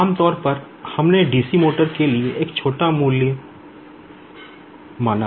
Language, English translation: Hindi, Generally we considered a small value for the DC motor